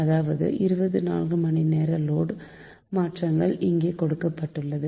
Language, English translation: Tamil, so that means twenty four hours data that load variations are given to you, right